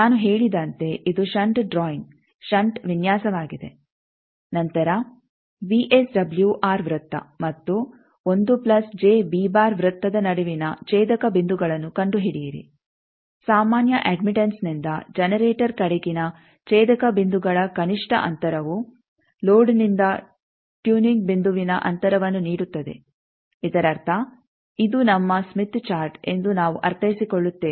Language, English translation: Kannada, As I said it is a shunt drawing shunt design, then find the intersection points between the circle that VSWR circle and 1 plus j beta circle, the minimum distance from the normalised admittance to the intersection points to as the generator gives the distance of the turning point from the that means, what we mean is suppose this is our smith chart